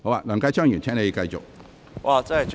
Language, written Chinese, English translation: Cantonese, 梁繼昌議員，請繼續發言。, Mr Kenneth LEUNG please continue